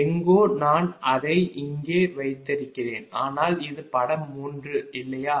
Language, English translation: Tamil, ah, i have placed it here, but this is figure three right